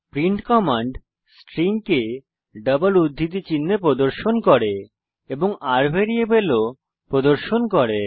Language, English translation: Bengali, print command displays the string within double quotes and also displays variable $r